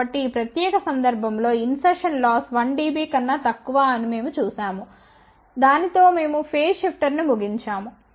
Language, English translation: Telugu, So, in this particular case we saw that insertion loss is less than 1 dB so with that we conclude phase shifter